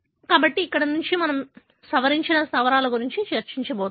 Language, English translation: Telugu, So, here we are going to discuss about the modified bases